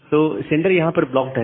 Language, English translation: Hindi, So the sender is blocked at this point